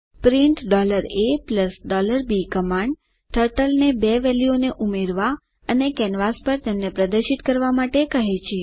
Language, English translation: Gujarati, print $a + $b commands Turtle to add two values and display them on the canvas